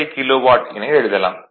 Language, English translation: Tamil, 75 kilo watt right